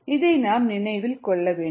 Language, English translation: Tamil, you need to keep this in mind